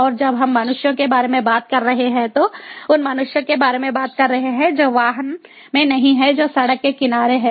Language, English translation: Hindi, and when we are talking about human, we are talking about the humans who are not in the vehicle, who are on the road side